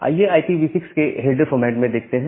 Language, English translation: Hindi, So, let us look into the header format of IPv6